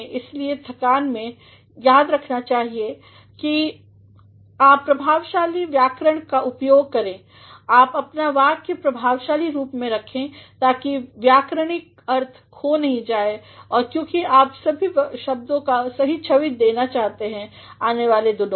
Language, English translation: Hindi, Hence, care ought to be taken that you make use of effective grammar, you write your sentence effectively; so, that the grammatical sense is not lost; because all of you want to have a good image in the days to come